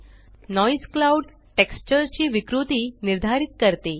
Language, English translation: Marathi, Noise determines the distortion of the clouds texture